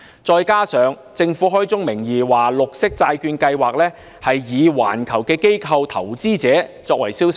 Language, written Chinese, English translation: Cantonese, 再者，政府開宗名義，明言綠色債券計劃以環球機構投資者為銷售對象。, Furthermore the Government has made it clear from the outset that the Green Bond Programme targets international institutional investors